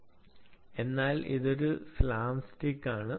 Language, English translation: Malayalam, it's called slams tick